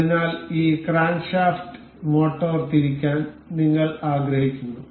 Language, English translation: Malayalam, So, we will we want this crankshaft to be rotated by motor